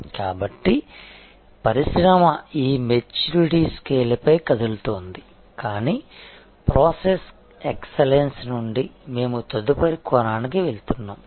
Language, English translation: Telugu, So, the industry is moving on this maturity scale, but from process excellence we are going to the next dimension